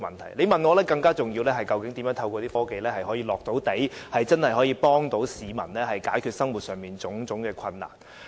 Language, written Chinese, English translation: Cantonese, 如果你問我，我認為更重要的是，究竟如何透過落實科技，真正協助市民解決生活上種種困難。, If you ask me I consider it more important to explore ways to put technology into practice to really help the public overcome the difficulties in their daily life